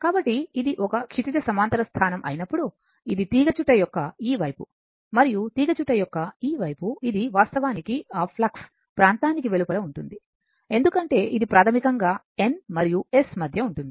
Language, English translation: Telugu, So, when it is a horizontal position, then this is this side of the coil and this side of the coil, this is actually will be outside of the your what you call that flux region right because this is a basically your in between N and S